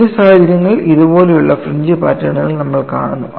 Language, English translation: Malayalam, In certain situations, you see fringe patterns like this